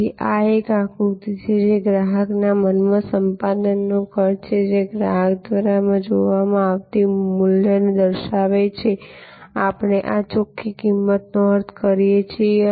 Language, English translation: Gujarati, So, this is the diagram that is the cost of acquisition in the mind of the customer verses the value perceived by the customer, this is what we mean by net value